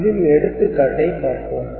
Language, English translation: Tamil, So, we take this example